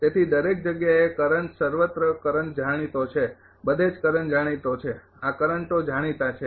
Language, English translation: Gujarati, So, everywhere current everywhere current is known everywhere current is known this currents are known